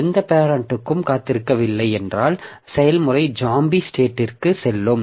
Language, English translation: Tamil, If the parent, if no parent is waiting then the process is a zombie state